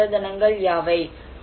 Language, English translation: Tamil, What are the natural capitals